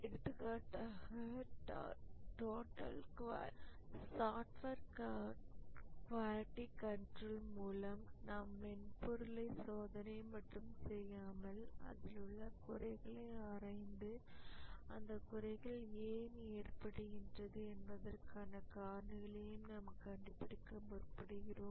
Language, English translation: Tamil, For example, in software quality control, we not only do the testing and inspection, but also we look at the defects, analyze the defects and find out why the defects are arising